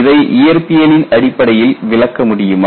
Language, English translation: Tamil, Can this be explained on the basis of physics